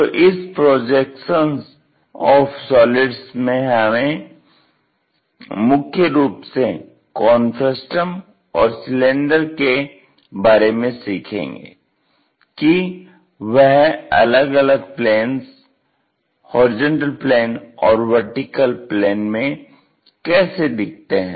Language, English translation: Hindi, And, in our projection of solids we will learn about mainly the cones frustums cylinders, how they really look like on different planes